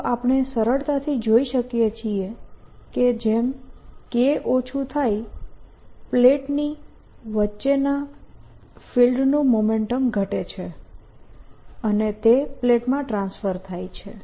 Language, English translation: Gujarati, so we can easily see, as k goes down, the momentum of the field between the plates goes down and that is transferred to the plates